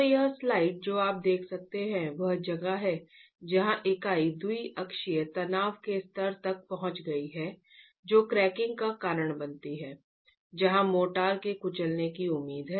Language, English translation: Hindi, So, this slide that you can see is where the unit has reached a level of biaxial tension that causes cracking, following which is where the crushing of the motor is expected to happen